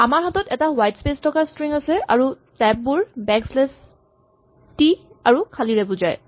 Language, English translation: Assamese, We have a string which has whitespace and you can see the tabs are indicated by backslash t and blanks